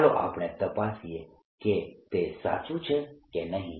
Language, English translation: Gujarati, let's check if this is correct